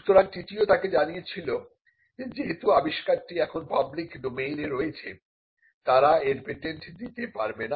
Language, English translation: Bengali, So, the TTO’s told them that the discovery was now in the public domain and they could not patent it